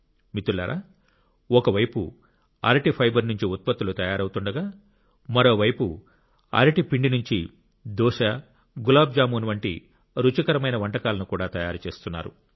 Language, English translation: Telugu, Friends, on the one hand products are being manufactured from banana fibre; on the other, delicious dishes like dosa and gulabjamun are also being made from banana flour